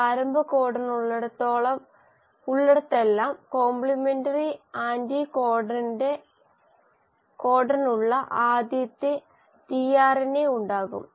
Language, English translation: Malayalam, Wherever there is a start codon the first tRNA which will have the complementary anticodon